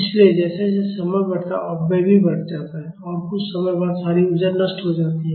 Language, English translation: Hindi, So, as time increases the dissipation also increases and after some time the all energy is being dissipated